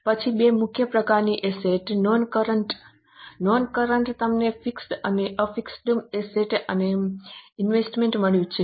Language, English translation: Gujarati, Then two major types of assets, non current current within non current you have got fixed and fixed assets and investment